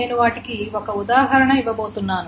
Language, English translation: Telugu, And I am going to give an example right away